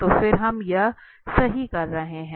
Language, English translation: Hindi, So then here we are doing this right